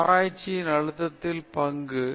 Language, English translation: Tamil, Role of stress in research